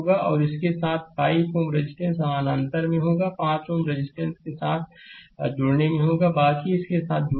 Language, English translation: Hindi, And with this 5 ohm resistance will be in parallel 5 ohm resistance will be in rest you connect with this right, rest you connect with this